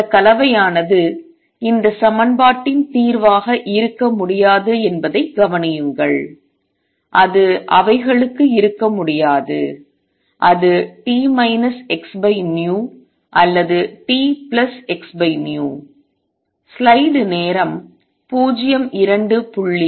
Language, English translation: Tamil, Notice that this combination cannot be the solution of this equation, it cannot be for them it is either t minus x over v or t plus x over v